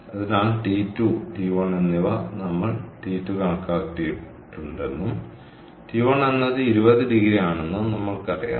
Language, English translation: Malayalam, so therefore, and t two and t one, we already know we have calculated t two and t one was given to be twenty degree, so two, ninety three kelvin